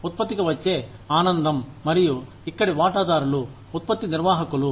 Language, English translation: Telugu, The pleasure, that comes to the product, and the stakeholders here, are the product manager